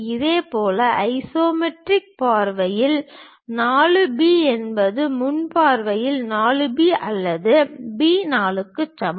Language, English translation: Tamil, Similarly, 4 B in the isometric view is equal to 4 B or B 4 in the frontal view